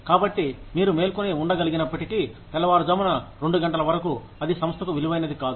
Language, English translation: Telugu, So, even if you are able to stay awake, till maybe 2 am, it is of no value, to the organization